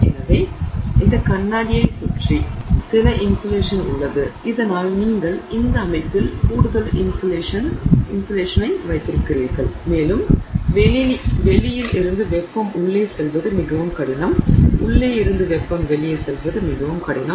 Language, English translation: Tamil, So, there is some insulation that is wrapped around this glass so that you have additional insulation in the system and it is very difficult for the heat outside to go in, very difficult for heat inside to go out